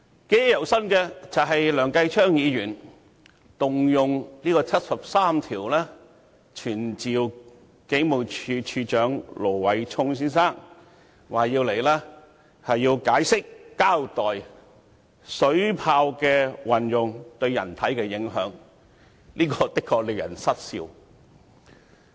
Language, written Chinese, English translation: Cantonese, 記憶猶新的是梁繼昌議員根據《基本法》第七十三條動議傳召警務處處長盧偉聰先生到本會席前解釋及交代水炮的運用對人體的影響，這的確令人失笑。, Still fresh in my memory is the motion moved by Mr Kenneth LEUNG under Article 73 of the Basic Law to summon the Commissioner of Police Mr Stephen LO to attend before this Council to explain and elucidate the impact of the use of a water cannon on the human body